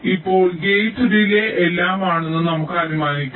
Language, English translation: Malayalam, now let us just assume that the gate delays are all one